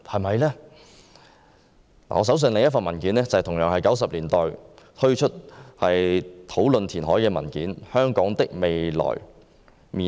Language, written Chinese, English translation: Cantonese, 我手上另一份文件同樣是在1990年代發表有關填海的討論文件，題為"香港的未來面貌"。, I have in hand another document also published in the 1990s titled The Future Shape of Hong Kong which discussed land reclamation